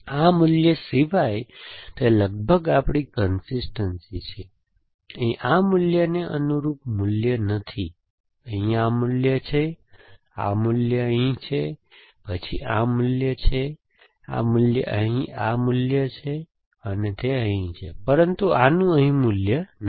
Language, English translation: Gujarati, So, it is almost our consistence except for this value, here this value does not have corresponding value, here this value has, this value here and then this value has that value there, this value has this value here, and that is that, but this one does not have value here